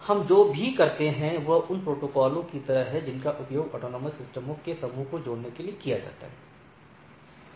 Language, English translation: Hindi, And secondly, what we like to have the others are like the protocols which are used to interconnect a set of autonomous systems